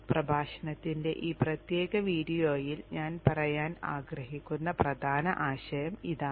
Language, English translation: Malayalam, This is the key concept that I want to convey in this particular video lecture